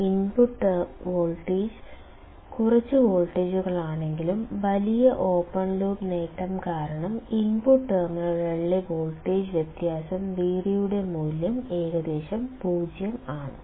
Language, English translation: Malayalam, This is obvious because even if the input voltage is of few volts; due to large open loop gain the difference of voltage Vd at the input terminals is almost 0